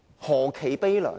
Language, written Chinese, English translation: Cantonese, 何其悲涼。, How pathetic and pitiful it is